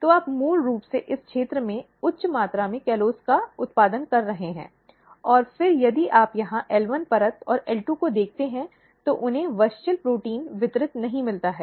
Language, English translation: Hindi, So, you are basically producing high amount of callose in this region and then if you look here the L1 layer and L2, they do not get WUSCHEL protein distributed